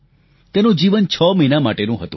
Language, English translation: Gujarati, It had a life expectancy of 6 months